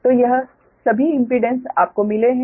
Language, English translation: Hindi, so all these impedances you have got right